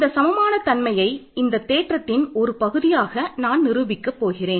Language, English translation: Tamil, So, I am going to prove this equality as part of the proof of the theorem, ok